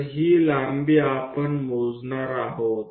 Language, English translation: Marathi, So, that this length we are going to measure it